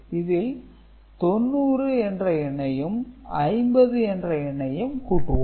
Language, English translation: Tamil, So, the numbers that you want to add is 90 and 50 ok